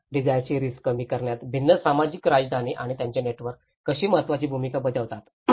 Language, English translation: Marathi, So, how different social capitals and its network play an important role in reducing the disaster risk